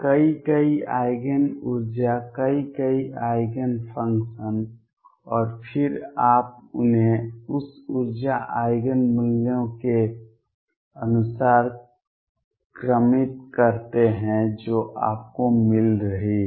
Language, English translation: Hindi, Many, many Eigen energies, many, many Eigen functions and then you order them according to the energy Eigen values you are getting